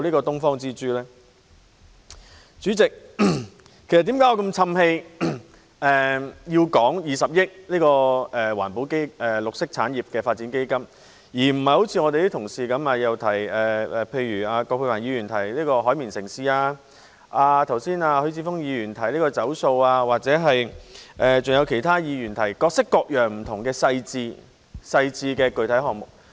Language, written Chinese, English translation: Cantonese, 代理主席，為何我這麼長氣，討論20億元綠色產業發展基金，而不是如葛珮帆議員般提到"海綿城市"、如許智峯議員般提到"走塑"，或如其他議員般提出各式各樣不同的細緻具體項目？, Deputy President why am I so long - windedly discussing the 2 billion green industries development fund rather than referring to sponge cities as Dr Elizabeth QUAT did talking about plastic - free as Mr HUI Chi - fung did or proposing a wide variety of detailed and specific projects as other Members did?